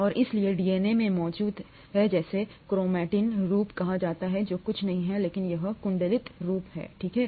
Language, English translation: Hindi, And, so DNA exists in what is called a chromatin form which is nothing but this coiled form, okay